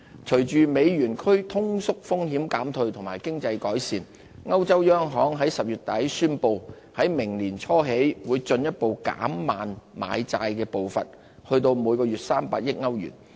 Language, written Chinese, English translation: Cantonese, 隨着歐元區通縮風險減退及經濟改善，歐洲央行在10月底宣布在明年年初起會進一步減慢買債步伐至每月300億歐元。, With the easing of deflation risks in the euro area the European Central Bank amid economic improvement announced in late October that the monthly pace of bond - buying would be moderated further to €30 billion starting from next year